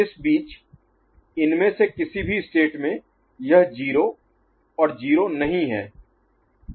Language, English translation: Hindi, In between in any of these states, it is not your 0 and 0